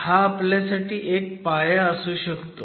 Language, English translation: Marathi, So, can this be a basis for us